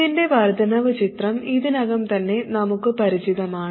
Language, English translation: Malayalam, Now the incremental picture of this we are already familiar with